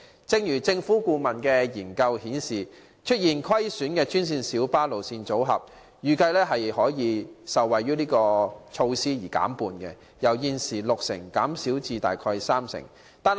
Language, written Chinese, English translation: Cantonese, 正如政府顧問研究顯示，出現虧損的專線小巴路線組合，預計可受惠於是次措施而令虧損減半，由現時的六成減少至大約三成。, As indicated in the consultancy study commissioned by the Government the loss - making green minibus GMB route packages are expected to drop by half from close to 60 % at present to about 30 %